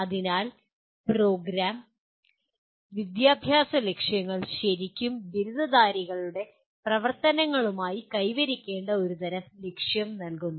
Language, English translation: Malayalam, So these Program Educational Objectives really provide a kind of a goal that needs to be attained with the activities of graduates